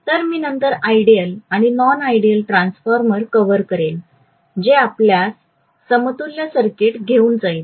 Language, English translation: Marathi, So I will then cover ideal and non ideal transformer which will take us to equivalent circuit and so on and so forth, okay